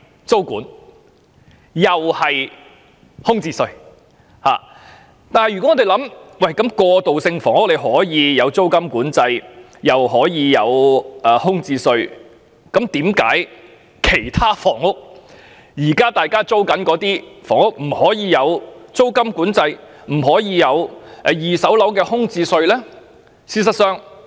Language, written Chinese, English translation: Cantonese, 市民會問道，如果政府就過渡性房屋推行租金管制及空置稅，為何政府不就市民現時租住的其他房屋推行租金管制，甚或二手樓宇空置稅呢？, The public would ask if the Government is implementing rent control and vacancy tax on transitional housing why dont they introduce rent control on other housing units rented by the public now or even vacancy tax in the secondary market?